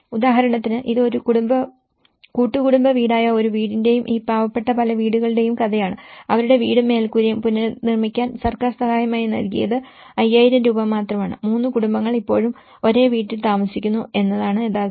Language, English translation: Malayalam, For instance, this is a story of a house as a joint family house and many of these poor houses, the government has given only 5000 rupees as a kind of support to rebuild their house, the roof and the reality is 3 families still live in the same house